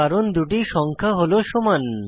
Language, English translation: Bengali, This is because the two numbers are equal